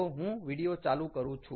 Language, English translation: Gujarati, ok, so i will just run this video